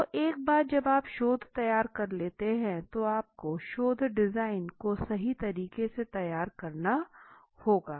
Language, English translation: Hindi, So once you formulated the research and the step which comes in so you have to formulate the research design right